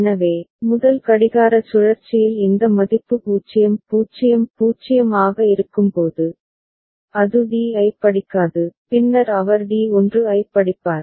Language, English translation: Tamil, So, when this value is 0 0 0 in the first clock cycle, it will read D naught then he will read D 1